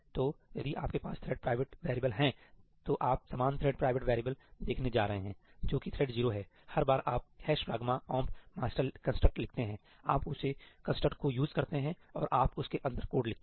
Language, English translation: Hindi, So, if you have thread private variables you are going to see the same thread private variable which is of thread 0; every time you write a ëhash pragma omp masterí construct, you use that construct and you write code inside that